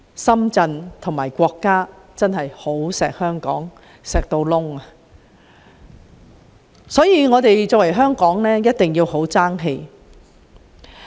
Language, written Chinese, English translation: Cantonese, 深圳和國家真的非常疼惜香港，所以香港一定要爭氣。, We can truly feel that Shenzhen and the country love Hong Kong very dearly and Hong Kong must not let them down